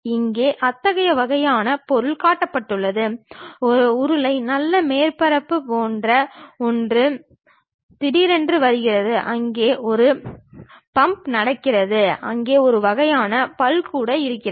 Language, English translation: Tamil, Here such kind of object is shown, a something like a cylindrical nice surface comes suddenly, there is a bump happens there a kind of dent also there